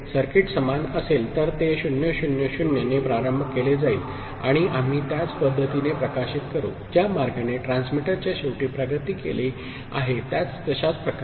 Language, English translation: Marathi, The circuit will be the same and it will be initialized with 0 0 0, and we will publish in the same manner, exactly the same manner the way it has progressed at the transmitter end